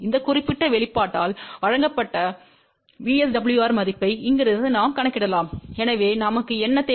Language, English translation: Tamil, And from here we can calculate the value of VSWR which is given by this particular expression and so, what we need